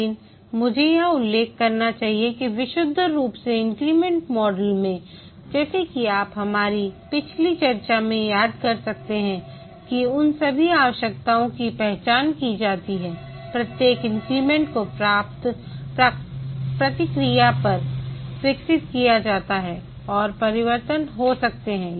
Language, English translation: Hindi, But let me mention here that in the purely incremental model as you might have remember from our last discussion that all those requirements are identified and these are planned into small increments